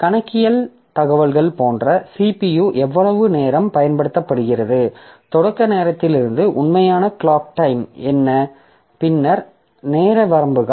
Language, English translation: Tamil, So, accounting information like the CPU, how much time the CPU is used, what is the actual clock time from the start time, then time limits